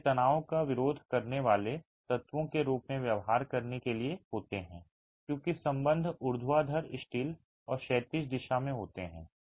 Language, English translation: Hindi, These are meant to behave as tension resisting elements as ties in the vertical direction and the horizontal direction